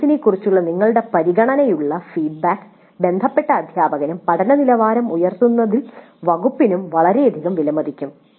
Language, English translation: Malayalam, Your considered feedback on the course will be of great value to the concerned instructor and the department in enhancing the quality of learning